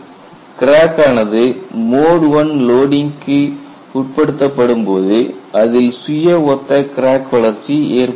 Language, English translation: Tamil, When a crack is subjected to mode one loading, you have self similar crack growth